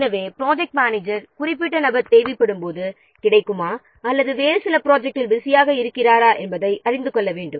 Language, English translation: Tamil, So, project manager needs to know whether the particular individual will be available when required or they are busy in some other projects